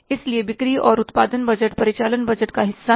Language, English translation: Hindi, So, in the sales and production budget, they are the part of the operating budget